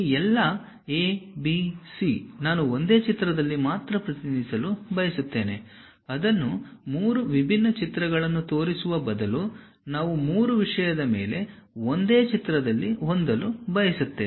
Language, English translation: Kannada, All these A, B, C I would like to represent only on one picture; instead of showing it three different pictures, we would like to have three on one thing